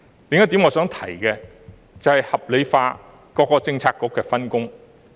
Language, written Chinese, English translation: Cantonese, 另一點我想提的是，合理化各政策局的分工。, Another point that I would like to mention is a rational distribution of work among various Policy Bureaux